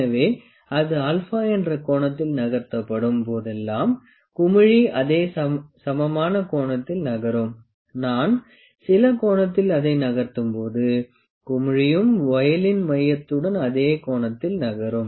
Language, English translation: Tamil, So, whenever it is moved at an angle alpha, the bubble will move an equivalent angle, when I moved at some angle the bubble will also make the same angle with the centre of the voile